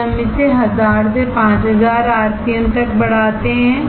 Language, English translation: Hindi, Then we ramp it up to 1000 to 5000 rpm